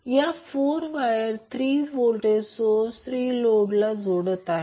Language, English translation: Marathi, Now, these 4 wires are connecting the 3 voltage sources to the 3 loads